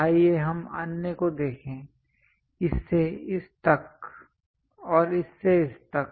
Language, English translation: Hindi, Let us look at other ones, this to this and this to this